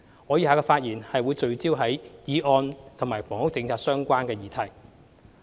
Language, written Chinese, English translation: Cantonese, 我以下的發言則會聚焦於議案與房屋政策相關的議題。, My speech will focus on issues in the motion relating to the housing policy